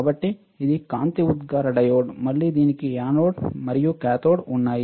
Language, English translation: Telugu, So, this is light emitting diode, again it has an anode and a cathode